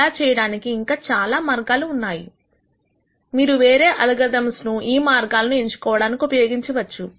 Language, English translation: Telugu, There are many other ways of doing this you can choose directions in using other ideas that many other algorithms use